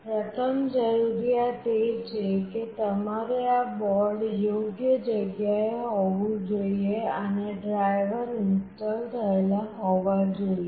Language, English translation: Gujarati, The first requirement is that you need to have this board in place and the driver installed